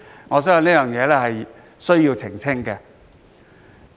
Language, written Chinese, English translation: Cantonese, 我相信有需要澄清這點。, I consider it necessary to clarify this point